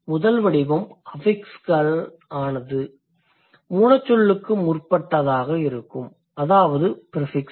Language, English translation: Tamil, Second category, the affix that follows the root word, that will be a suffix